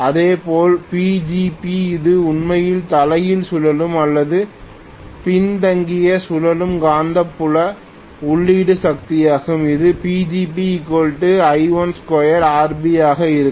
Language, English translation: Tamil, Similarly, PGB which is actually the reverse rotating or backward rotating magnetic field input power that will be I1 square multiplied by RB